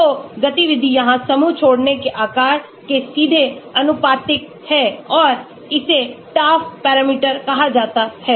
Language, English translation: Hindi, So, the activity is directly proportional to the size of leaving group here and it is called the Taft parameter